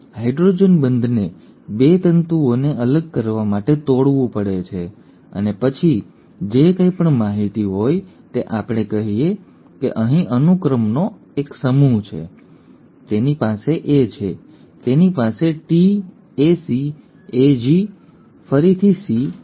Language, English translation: Gujarati, The hydrogen bonds have to be broken to kind of separate the 2 strands and then whatever is the information, let us say there is a set of sequence here, it has a A, it has a T, a C, a G, a G again and a C